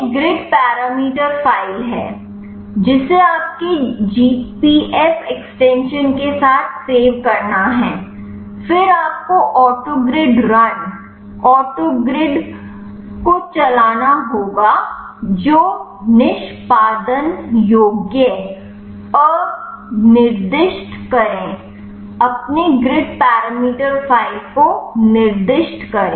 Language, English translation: Hindi, This is grid parameter file you have to save with the GPF extension, then you have to run the autogrid run autogrid specify the executable unspecify your grid parameter file